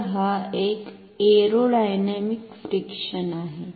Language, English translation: Marathi, So, this is a aerodynamic friction